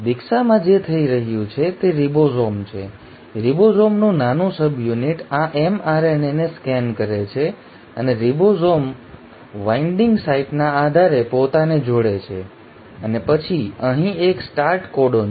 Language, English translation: Gujarati, What is happening in initiation is the ribosome, the small subunit of ribosome scans this mRNA and attaches itself based on ribosome binding site and then here is a start codon